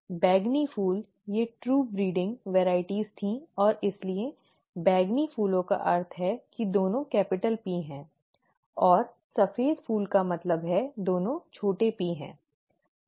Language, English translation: Hindi, The purple flower, these were true breeding the true breeding varieties and therefore the purple flowers means both are capital P, and the white flowers means both are small p, okay